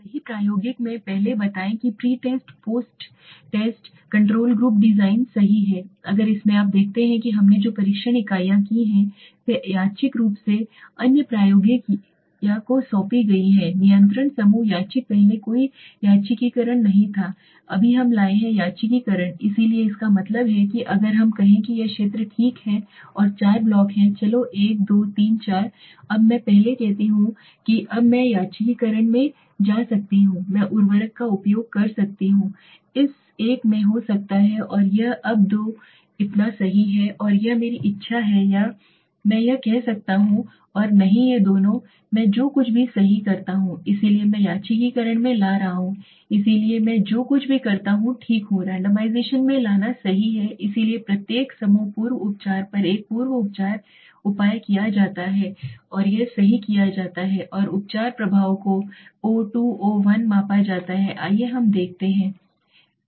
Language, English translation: Hindi, Let the first in the true experimental is the pre test post test control group design right in this if you see what we have done test units are randomly assigned to other the experimental or the control group random earlier there was no randomization right now we have brought randomization so that means if let us say there are this is the field okay and there are four blocks let s say one two three four now I earlier I can now bring in the randomization I can use fertilizer may be in this one and this one now this two so right so it my wish or I can do this one and not these two so whatever I do right so I m bringing in randomization so whatever I do right so I m bringing in randomization right so a pre treatment measure is taken on each group pre treatment this is done right and the treatment effect is measured o2 o1 let us see this